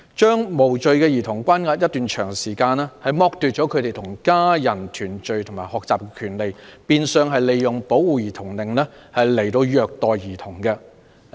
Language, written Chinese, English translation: Cantonese, 將無罪兒童關押一段長時間，剝奪了他們與家人團聚及學習的權利，變相是利用保護兒童令虐待兒童。, Detaining innocent children for a long period of time and depriving them of their right to unite with their families as well as their right to schooling is tantamount to using child protection orders to abuse children